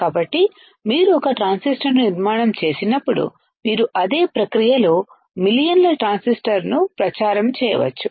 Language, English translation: Telugu, So, when you fabricate one transistor, you can propagate millions of transistor in the same process right